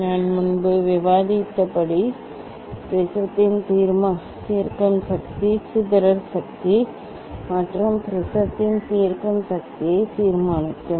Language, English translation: Tamil, Then determine the resolving power of the prism, dispersive power and resolving power of the prism as I discussed earlier